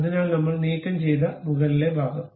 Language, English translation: Malayalam, So, the top portion we have removed